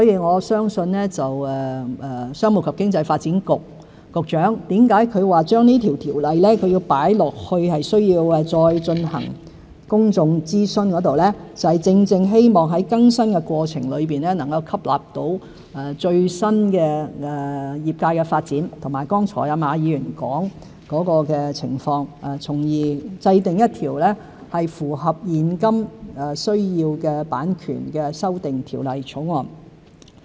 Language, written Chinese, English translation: Cantonese, 我相信商務及經濟發展局局長說這項條例需要再進行公眾諮詢，正正就是希望在更新的過程中能吸納業界最新的發展，以及馬議員剛才所說的情況，從而制定符合現今需要的版權修訂條例草案。, As I believe the Secretary for Commerce and Economic Development who remarked that the Ordinance in question would have to go through another public consultation before amendment intends to incorporate the latest development of the industry as well as Mr MAs earlier views in the updating process so as to formulate an amendment bill on copyright which can meet the current needs